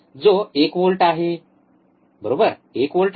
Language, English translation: Marathi, Which is one volt, right 1 volt 1 volt